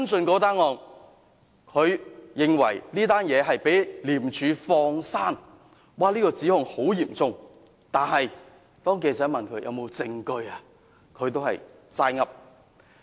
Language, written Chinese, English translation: Cantonese, 他認為該宗案件被廉署放過，指控十分嚴重，但當記者問他有否證據時，他也只是"齋噏"。, He made a very serious allegation against ICAC of letting off the person involved in the case but when asked by reporters if he could produce any evidence to prove it no actual evidence could be presented